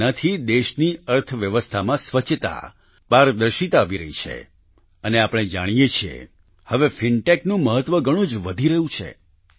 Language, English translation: Gujarati, Through this the economy of the country is acquiring cleanliness and transparency, and we all know that now the importance of fintech is increasing a lot